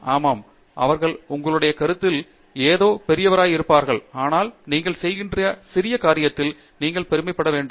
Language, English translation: Tamil, Yes, they might be doing something great in your opinion, but you have to be also proud of the small thing you are doing